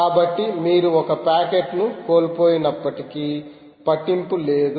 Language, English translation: Telugu, so even if you lose one packet, it doesnt matter, right